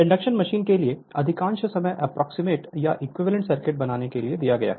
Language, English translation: Hindi, Most of the times for induction machine we have spend to make an approximate or equivalent circuit right